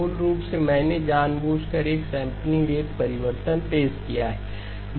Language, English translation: Hindi, Basically, I have deliberately introduced a sampling rate change